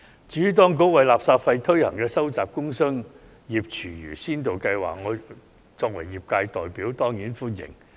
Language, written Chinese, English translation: Cantonese, 至於當局為垃圾徵費推行的收集工商業廚餘先導計劃，我作為業界代表當然歡迎。, On behalf of the industry I certainly welcome the Administrations pilot scheme for collection of food waste from commercial and industrial sources . The scheme is aimed at paving the way for waste disposal charging